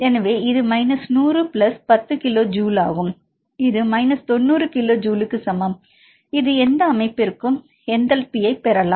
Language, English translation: Tamil, So, this is minus hundred plus ten kilo joule that is equal to minus 90 kilo joule right this we can get the enthalpy for any system